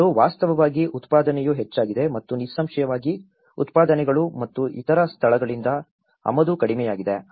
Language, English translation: Kannada, And that has actually, the production has increased and obviously, the productions and the imports from other places has been decreased